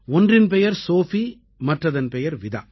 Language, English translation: Tamil, One is Sophie and the other Vida